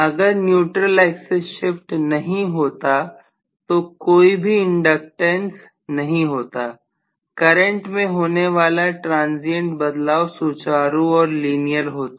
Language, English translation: Hindi, Now if no shifting of neutral axis had taken place the coil had not had got inductance, the current transition would have been smooth and linear no problem at all